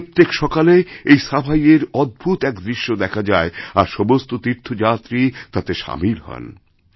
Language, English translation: Bengali, Every morning, there is a uniquely pleasant scene of cleanliness here when all devotees join in the drive